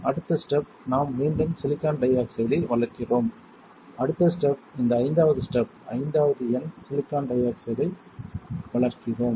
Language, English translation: Tamil, The next step would be, we grow again silicon dioxide and then the next step, so this fifth step, number fifth we grow silicon dioxide